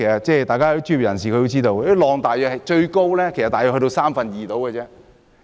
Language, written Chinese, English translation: Cantonese, 專業人士應該知道，最高應是水深約三分之二。, Professionals should know that the maximum height should be two third of the water depth